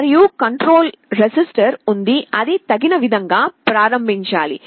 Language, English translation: Telugu, And there is a control register that has to be initialized appropriately